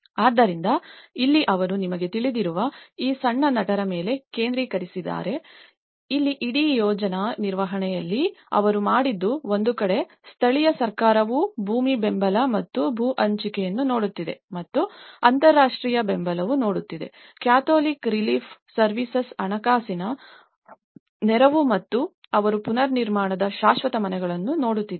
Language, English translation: Kannada, So, this is where they focused on these small actors you know, in the whole project management here, what they did was on one side, the local government is looking at the land support and the land allocation and the international support is looking at the Catholic Relief Services financial support and they are looking at the permanent houses of reconstruction